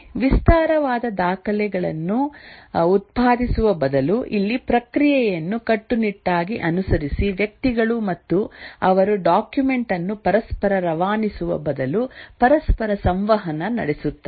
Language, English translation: Kannada, Instead of producing elaborate documents following process rigorously here the individuals and they interact with each other rather than passing on a document to each other, they explain to each other through interaction